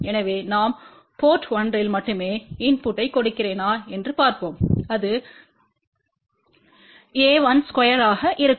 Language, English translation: Tamil, So, let see if I give a input at only port 1 so that will be a 1 square